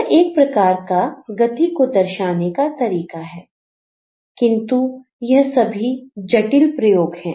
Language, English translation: Hindi, So, that is another way of dealing with movement, but they are the complexities of experimentation